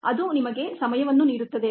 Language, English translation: Kannada, that gives you the time there